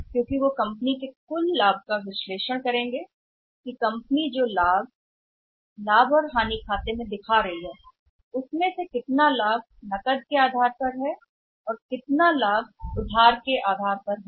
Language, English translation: Hindi, Because they would be analysing that out of the total profits a company showing in the profit and loss account how much profit is on cash basis and how much profit is no credit